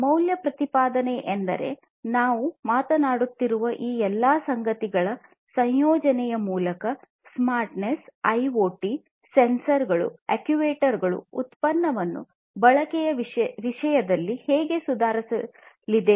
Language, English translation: Kannada, So, value proposition means like you know through the incorporation of all of these things that we are talking about; the smartness, IoT sensors, actuators whatever how the product is going to be improved; in terms of usage